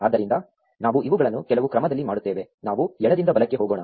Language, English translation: Kannada, So, we do these in some order; let us go left to right